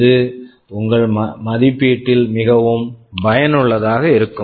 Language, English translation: Tamil, That is something that would be most beneficial in your assessment